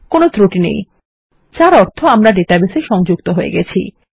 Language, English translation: Bengali, No error message, which means we are connected to the database